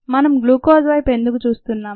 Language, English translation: Telugu, why are we looking at glucose